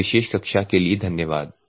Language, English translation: Hindi, Thank you for this particular class